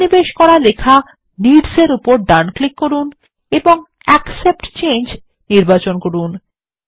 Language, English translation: Bengali, Right click on the inserted text needs and select Accept Change